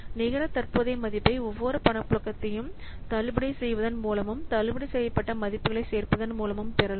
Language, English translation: Tamil, The net present value it is obtained by discounting each cash flow and summing the discounted values